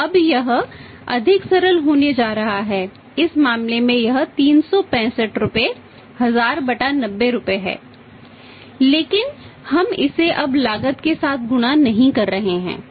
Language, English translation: Hindi, So, it is going to be more simple now in this case this is it is rupees 1000/90 by 365 by we are not multiplying it with the cost now